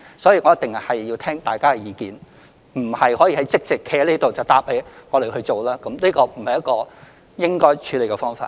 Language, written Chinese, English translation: Cantonese, 我一定要聽大家的意見，而並非即席在這裏答覆議員我們會去做，這不是應該採取的處理方法。, I will certainly listen to Members views but I will not give Members a reply here that we will do it for this is not the proper way to do things